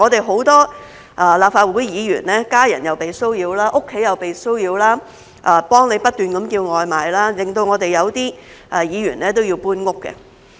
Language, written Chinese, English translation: Cantonese, 很多立法會議員的家人被騷擾，家中又被騷擾，有人不斷替他們叫外賣，令到有些議員要搬遷。, Many legislators family members have been harassed . They were even harassed at home with people ordering takeaways incessantly for them . As a result some legislators have to move homes